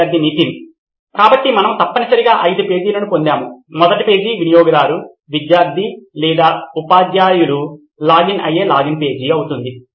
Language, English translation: Telugu, So we essentially designed five pages, the first page would be a login page where the user, student or teachers logs in